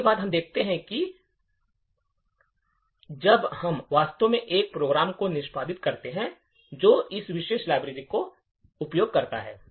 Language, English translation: Hindi, Next, we see what happens when we actually execute a program that uses this particular library